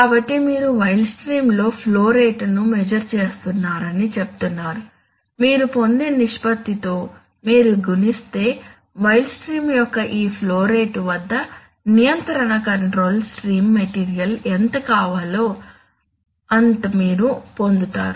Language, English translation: Telugu, So you are saying that you measure the flow rate in the wild stream, if you multiply by the derived ratio what we will get, you will get that at this flow rate of the wild stream how much of the control stream material should come